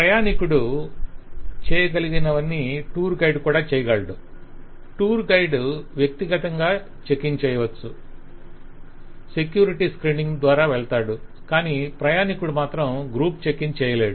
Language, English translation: Telugu, the passenger, like tour guide, can individually check in, will go through the security screening, but this is not possible, that is, a passenger cannot do a good checking